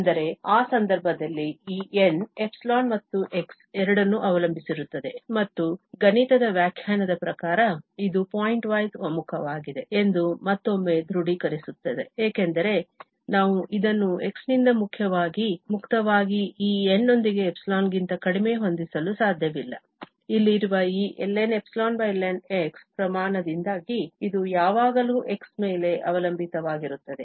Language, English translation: Kannada, But in that case, this N is depending on epsilon and x both and that again confirms that it is a pointwise convergence according to the mathematical definition, because we cannot set this less than epsilon with this N free from x, this will always depend on x because of this quantity here ln over ln